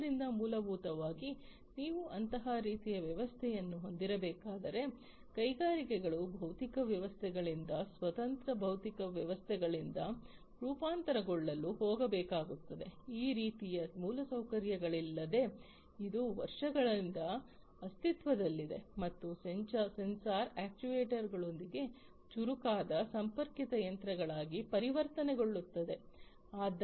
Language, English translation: Kannada, So, basically if you need to have such a kind of system getting some kind of a transformation that the industries will have to go through to transform from the physical systems the standalone physical systems without these kind of infrastructure that has been existing for years, and then transforming into something that is more smart, smarter machines, connected machines, machines with sensors actuators, and so on